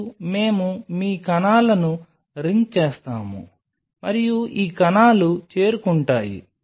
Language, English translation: Telugu, And we your ring the cells and these cells are reach